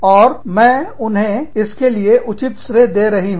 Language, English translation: Hindi, And, i am giving them, due credit for it